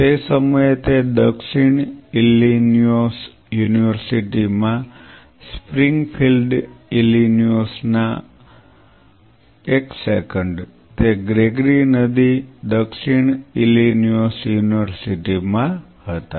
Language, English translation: Gujarati, At that time he was in southern Illinois University at Springfield Illinois one second yeah, Gregory river southern Illinois University